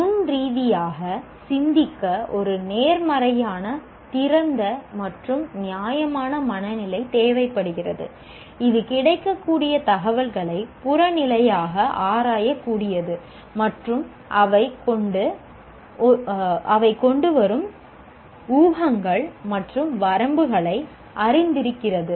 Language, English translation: Tamil, Thinking critically requires a positive, open and fair mindset that is able to objectively examine the available information and is aware of the laid assumptions and limitations brought about by them